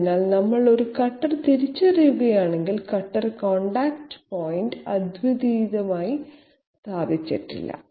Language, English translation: Malayalam, So if we identify a cutter, the cutter contact point is not uniquely positioned